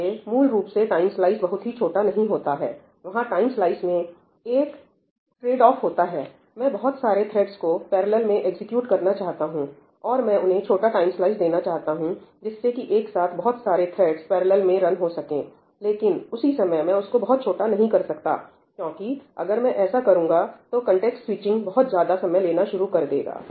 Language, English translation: Hindi, There’s a tradeoff off in the time slice I want to execute many threads in parallel, I want to give them short time slices so that I get the feeling that there are more tasks running in parallel , but at the same time I cannot make it too small because otherwise the context switching is going to start taking time